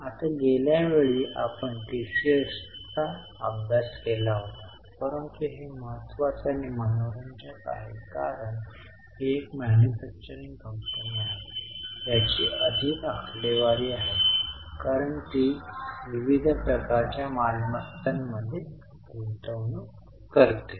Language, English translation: Marathi, Now last time we had studied PCS but this is important and more interesting because this is a manufacturing company which is which has more figures because it invests in variety of types of assets